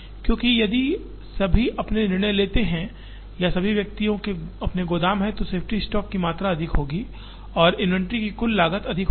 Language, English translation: Hindi, Because, if the individual players make their own decisions or if the individuals have their own warehouses, the amount of safety stock will be higher and the total cost of inventory will be higher